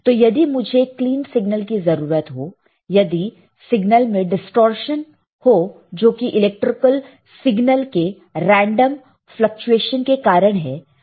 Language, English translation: Hindi, So, you see a signal if I want a clean signal right if I have the distortion in the signal right that may be due to the random fluctuation of the electrical signal